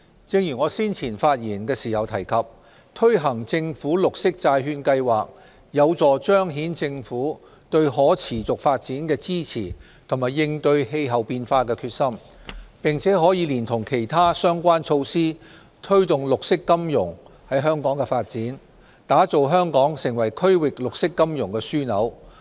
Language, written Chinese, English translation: Cantonese, 正如我先前發言時提及，推行政府綠色債券計劃，有助彰顯政府對可持續發展的支持及應對氣候變化的決心，並可連同其他相關措施，推動綠色金融在香港的發展，打造香港成為區域綠色金融樞紐。, Like I said earlier the launch of the Government Green Bond Programme together with other related measures can help demonstrate the Governments support for sustainable development and its determination to combat climate change . The Programme will also promote the development of green finance in Hong Kong with a view to establishing Hong Kong as a green finance hub in the region